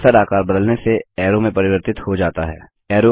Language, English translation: Hindi, The cursor turns into a re sizing arrow